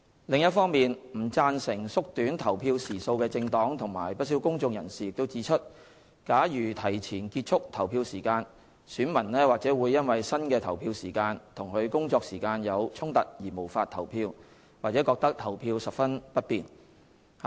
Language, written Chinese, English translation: Cantonese, 另一方面，不贊成縮短投票時數的政黨及不少公眾人士指出假如提前結束投票時間，選民或會因新的投票時間與其工作時間有衝突而無法投票，或覺得投票十分不便。, On the other hand some political parties and quite a few members of the public who opposed shortening the polling hours pointed out that if the closing time of the poll was advanced some electors may not be able to or find it inconvenient to vote because the revised polling hours may conflict with their working hours